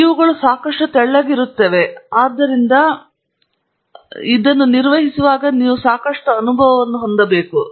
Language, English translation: Kannada, These are thin enough so that you can have enough of feel of what it is that you are handling